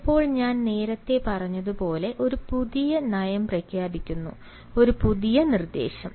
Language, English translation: Malayalam, sometimes a new policy, as i said earlier, is being announced, a new instruction